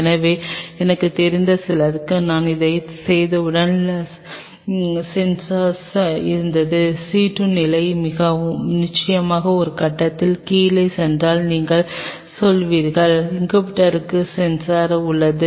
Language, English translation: Tamil, So, some people I know once I did it there was sensor you will say if the C2 level goes down below a point of course, the incubator has sensor